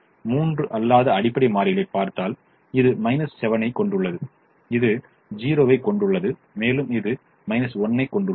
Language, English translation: Tamil, but if i look at the three non basic variables, this has a minus seven, this has a zero, this has a minus one